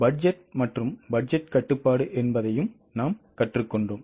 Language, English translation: Tamil, We have also learned budgeting and budgetary control